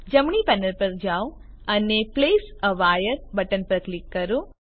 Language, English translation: Gujarati, Go to right panel and click place a wire button